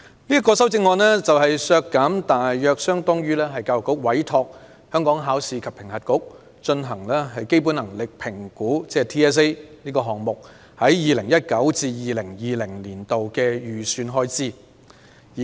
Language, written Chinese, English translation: Cantonese, 我建議削減的款額大約相當於教育局委託香港考試及評核局進行基本能力評估)項目在 2019-2020 年度的預算開支。, The amount of reduction proposed by me is roughly equivalent to the Education Bureaus estimated expenditure on commissioning the Hong Kong Examinations and Assessment Authority HKEAA to conduct the Basic Competency Assessment BCA in 2019 - 2020